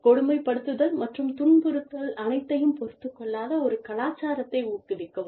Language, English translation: Tamil, Promote a culture in which, bullying and harassment, are not tolerated at all